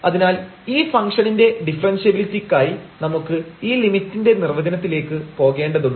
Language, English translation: Malayalam, So, for the differentiability of this function we need to now go to this limit definition